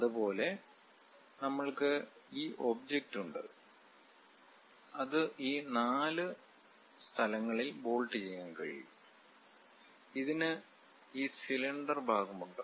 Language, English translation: Malayalam, Similarly, we have this object, which can be bolted at this four locations and it has this cylindrical portion